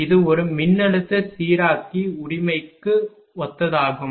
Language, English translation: Tamil, It is analogous to a voltage regulator right